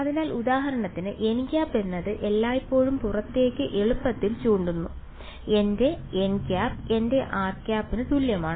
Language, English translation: Malayalam, So, n hat is for example, always pointing readily outwards, so that is my n hat is equal to my r hat